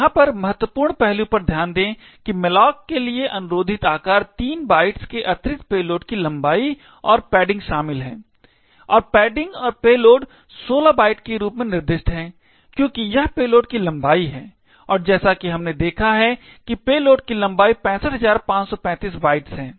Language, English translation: Hindi, Note the critical aspect over here is that the size requested to malloc comprises of 3 bytes plus the payload length plus the padding and the padding is as specified 16 bytes and payload since it is the payload length and as we seen over here the payload length is 65535 bytes